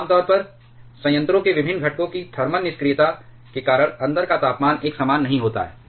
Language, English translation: Hindi, Generally, because of the thermal inertia of the different components of reactor the temperature inside is not uniform